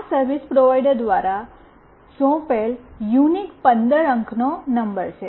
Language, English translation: Gujarati, This is a unique 15 digit number assigned by the service provider